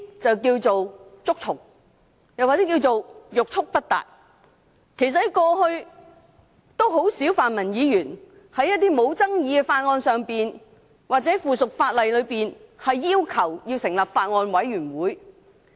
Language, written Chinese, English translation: Cantonese, 這可稱為"捉蟲"或欲速不達。過去很少泛民議員就無爭議的法案或附屬法例的修訂，要求成立法案委員會或小組委員會。, In the past pro - democracy Members have seldom requested the establishment of Bills Committees or subcommittees to scrutinize uncontroversial amendments to bills and subsidiary legislation